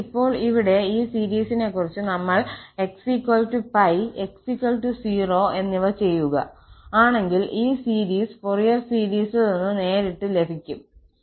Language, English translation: Malayalam, So, now, about this series here, we have to observe that if we substitute x is equal to plus minus pi and x equal to 0, so then, we can get these series directly from the Fourier series